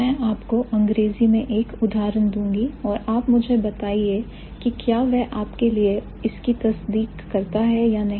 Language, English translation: Hindi, I will give you an example in English and you let me know whether that holds true for this or not